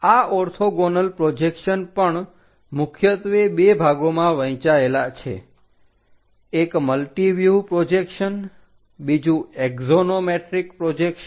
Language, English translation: Gujarati, This, orthogonal projections are also divided into two parts mainly multi view projections, the other one is axonometric projections